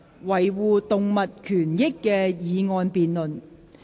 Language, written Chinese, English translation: Cantonese, "維護動物權益"的議案辯論。, The motion debate on Safeguarding animal rights